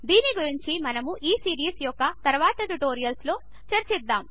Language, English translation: Telugu, We will discuss it in the later tutorials of this series